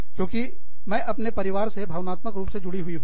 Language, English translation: Hindi, Because, i am emotionally attached to my family